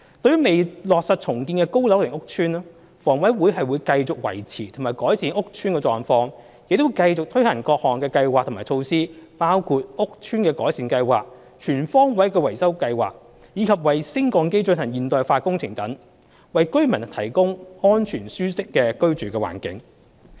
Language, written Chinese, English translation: Cantonese, 對於未落實重建的高樓齡屋邨，房委會會繼續維持和改善屋邨的狀況，亦會繼續推行各項計劃及措施，包括屋邨改善計劃、全方位維修計劃，以及為升降機進行現代化工程等，為居民提供安全舒適的居住環境。, For aged PRH estates with no confirmed redevelopment plan HA will continue to upkeep and improve the building conditions and also continue to implement various programmes and measures including the Estate Improvement Programme the Total Maintenance Scheme and lift modernization so as to provide residents with a safe and comfortable living environment